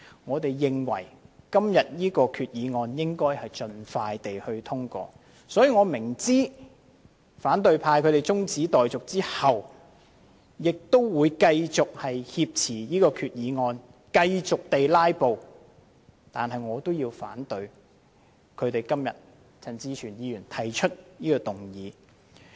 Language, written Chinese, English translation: Cantonese, 我們認為決議案應盡快獲得通過，我亦明知反對派在提出中止待續議案後，還會繼續挾持決議案、繼續"拉布"，但我要表明反對陳志全議員提出的中止待續議案。, We think that the resolution should be passed as soon as possible and I understand very well that the opposition camp will continue to hijack the resolution and continue to filibuster after moving the adjournment motion . I must say that I oppose Mr CHAN Chi - chuens adjournment motion